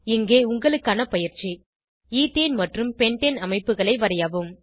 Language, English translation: Tamil, Here is an assignment Draw Ethane and Pentane structures